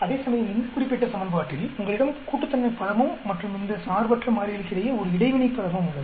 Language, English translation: Tamil, Whereas, in this particular equation you have an additive term plus also you have an interacting term between these two independent variables